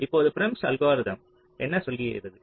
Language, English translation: Tamil, now, prims algorithm, what it does